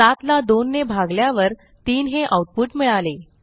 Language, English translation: Marathi, When 7 is divided by 2, we get 3